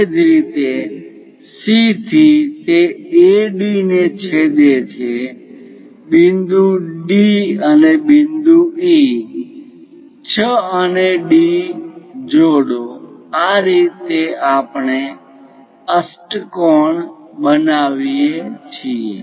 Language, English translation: Gujarati, Similarly, from C it is going to intersect AD point join D and E; join 6 and D